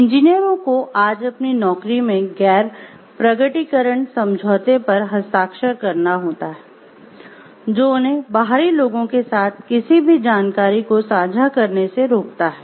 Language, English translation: Hindi, Engineers today as a part of their job are required to sign a nondisclosure agreement which binds them from sharing any information with outsiders